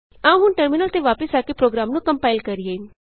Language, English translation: Punjabi, Let us now compile the program, come back to a terminal